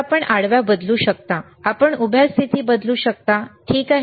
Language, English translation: Marathi, So, you can change the horizontal, you can change the vertical positions ok, this nice